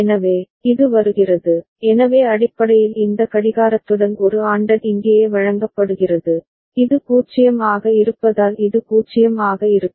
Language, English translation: Tamil, So, this is coming, so basically then A ANDed with this clock is fed here right, and this will be 0 because this is 0